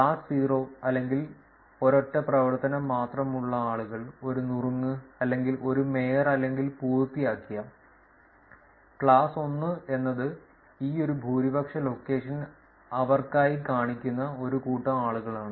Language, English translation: Malayalam, Class 0 or the people who have only single activity either a tip, or a mayorship or a done, class 1 is set of people who were where this one majority location that shows up for them